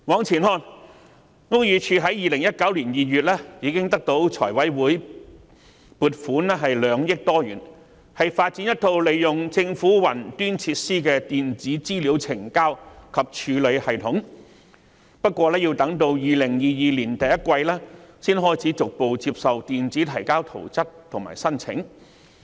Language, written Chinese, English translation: Cantonese, 然而，屋宇署早已於2019年2月獲財務委員會撥款2億多元，以發展一套利用政府雲端設施的電子資料呈交及處理系統，但卻要到2022年第一季才開始逐步接受以電子方式提交圖則和申請。, Nevertheless the Buildings Department BD has already been allocated with a funding of some 200 million by the Finance Committee as early as in February 2019 for the development of an Electronic Submission Hub using government cloud facilities . But it is not until the first quarter of 2022 that BD will gradually accept plans and applications submitted through electronic means